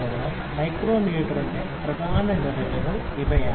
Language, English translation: Malayalam, So, these are the major components of the micrometer